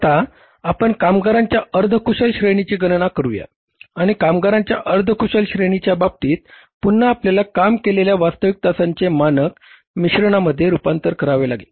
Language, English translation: Marathi, Now we calculate the semi skilled category of workers and in case of the semi skilled category of the workers again you have to convert the standard mix of the actual hours worked